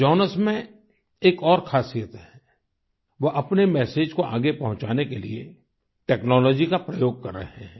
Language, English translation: Hindi, Jonas has another specialty he is using technology to propagate his message